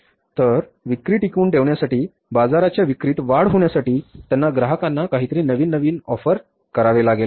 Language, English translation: Marathi, So, to sustain with the sales or to grow with the sales in the market, they have to offer something extra or something new to the customer